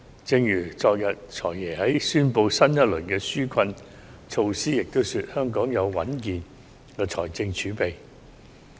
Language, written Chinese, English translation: Cantonese, 正如昨天"財爺"在宣布新一輪紓困措施時也表示，香港有穩健的財政儲備。, As the Financial Secretary said when he announced the new round of relief measures yesterday Hong Kong does have a sound fiscal reserve